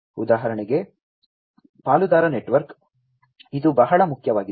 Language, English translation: Kannada, For example, the partner network, this is very important